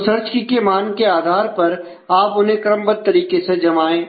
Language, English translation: Hindi, So, based on the value of the search key you put them in the sequential orders